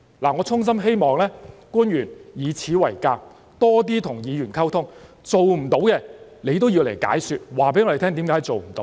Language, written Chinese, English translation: Cantonese, 我衷心希望官員要以此為鑒，多點跟議員溝通，做不到的也要向我們解說，告訴我們為甚麼做不到。, I sincerely hope that the officials will learn from this and communicate more with the legislators . In case there is something that they are unable to do they should give explanations to us